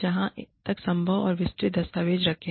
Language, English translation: Hindi, Keep detailed documentation, as far as possible